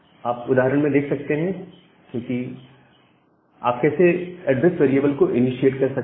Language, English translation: Hindi, So, here is an example how you can initiate the address variable